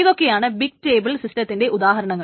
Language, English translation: Malayalam, What are the examples of big table systems